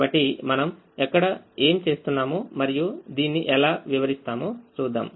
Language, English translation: Telugu, so we see what we do there and how we explain